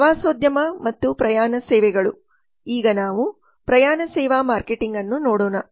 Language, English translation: Kannada, tourism and travel services let us now look at the travel service marketing